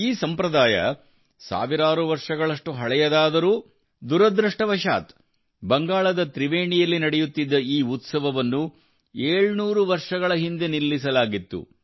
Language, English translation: Kannada, Although this tradition is thousands of years old, but unfortunately this festival which used to take place in Tribeni, Bengal was stopped 700 years ago